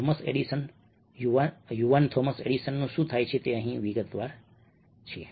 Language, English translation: Gujarati, what happens to thomas edison, the young thomas edison, is elaborated over here